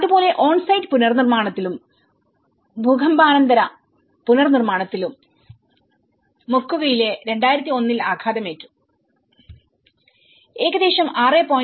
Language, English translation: Malayalam, Similarly, in on site reconstruction, post earthquake reconstruction in Moquegua, here, it is also struck by in 2001, it is about 6